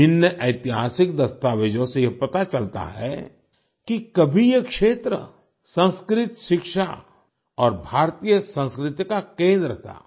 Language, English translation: Hindi, Various historical documents suggest that this region was once a centre of Sanskrit, education and Indian culture